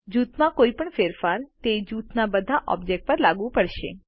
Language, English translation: Gujarati, Any change made to a group is applied to all the objects within the group